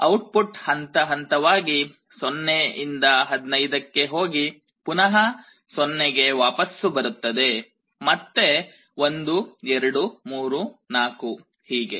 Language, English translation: Kannada, The output will go step by step from 0 to 15 and then again it will go back to 0, again 1 2 3 4 like this